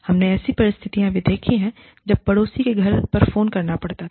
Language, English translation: Hindi, We have had situations, where we have had to take phone calls, at a neighbor's house